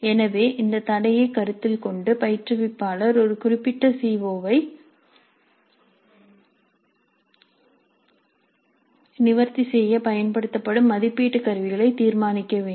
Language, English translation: Tamil, So keeping this constraint in view the instructor has to decide the assessment instruments that would be used to address a particular CO